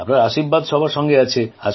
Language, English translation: Bengali, Your blessings are with everyone